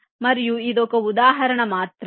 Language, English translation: Telugu, now this is another example